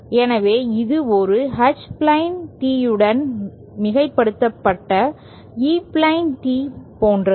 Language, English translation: Tamil, So, it is like E plane tee superimposed with a H plane tee